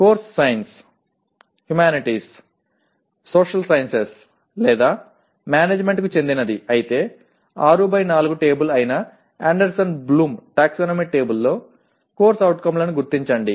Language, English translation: Telugu, If the course belongs to sciences, humanities, social sciences or management locate COs in Anderson Bloom taxonomy table that is 6 by 4 table